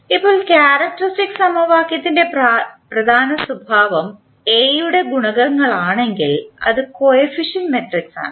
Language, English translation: Malayalam, Now, the important property of characteristic equation is that if the coefficients of A that is the coefficient matrix